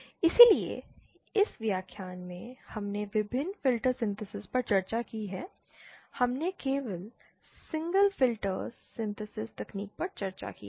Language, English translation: Hindi, So, in summary in this lecture we have discussed the various filters synthesis, we discuss not various filter only single filter synthesis technique